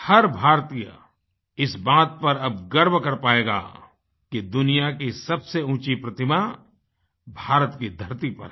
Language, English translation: Hindi, Every Indian will now be proud to see the world's tallest statue here on Indian soil